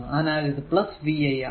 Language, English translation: Malayalam, So, p is equal to v i